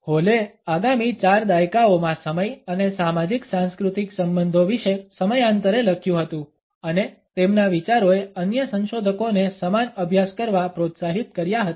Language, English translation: Gujarati, Hall was to write periodically about time and the socio cultural relations over the next four decades and his ideas have encouraged other researchers to take up similar studies